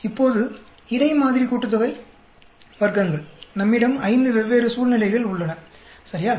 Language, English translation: Tamil, Now, between sample sum of squares we have five different situations, right